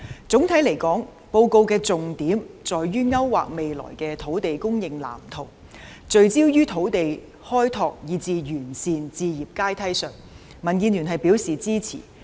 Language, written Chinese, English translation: Cantonese, 總體來說，報告的重點在於勾劃未來的土地供應藍圖，聚焦於土地開拓以至完善置業階梯，民建聯表示支持。, Overall the highlights of the Policy Address are outlining the blueprint of future land supply focusing on land development and improving the home ownership ladder . DAB supports all of these